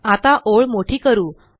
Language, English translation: Marathi, Now, lets make the line wider